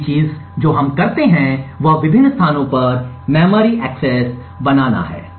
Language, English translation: Hindi, The next thing we do is create memory accesses to various locations